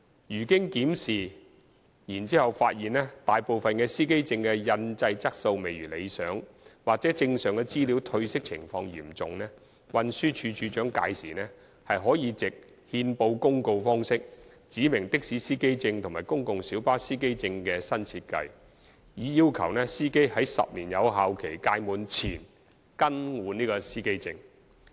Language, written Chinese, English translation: Cantonese, 如經檢視後發現大部分司機證的印製質素未如理想或證上資料褪色情況嚴重，運輸署署長屆時可藉憲報公告方式指明的士司機證和公共小巴司機證的新設計，以要求司機於10年有效期屆滿前更換司機證。, If the review finds that the printing quality of most driver identity plates is unsatisfactory or the information thereon have seriously faded the Commissioner for Transport may then specify by notice in the Gazette a new design for the taxi and PLB driver identity plates so as to require drivers to renew their plates even before the 10 - year expiry